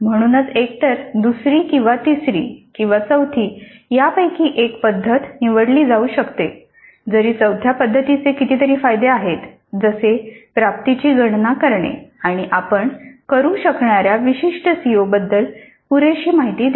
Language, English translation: Marathi, So either the second or the third or the fourth one of these methods can be chosen though the fourth method does have several advantages over the others in terms of simplicity of calculating the attainment and giving adequate information regarding specific COs that we can do